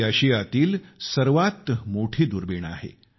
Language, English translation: Marathi, This is known as Asia's largest telescope